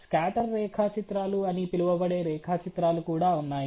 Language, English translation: Telugu, There are also you know diagrams which are called scatter diagrams